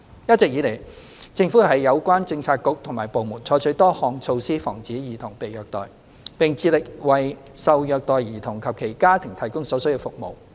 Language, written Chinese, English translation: Cantonese, 一直以來，政府有關政策局和部門採取多項措施防止兒童被虐待，並致力為受虐待兒童及其家庭提供所需服務。, Relevant government bureaux and departments have adopted various measures to prevent child abuse and provide the necessary services for the abused children and their families